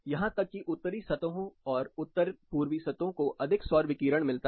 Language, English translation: Hindi, Even Northern surfaces and north eastern surfaces get more solar radiation